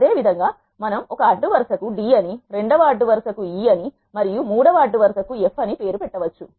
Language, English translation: Telugu, Similarly we can see that row one is named as d, row 2 is named as e and row 3 is named as f